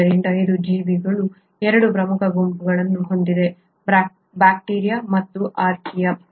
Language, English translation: Kannada, So it has 2 major groups of organisms, the bacteria and the Archaea